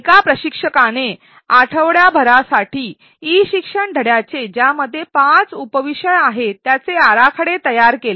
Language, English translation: Marathi, An instructor designed and created material for a week long e learning module which had 5 sub topics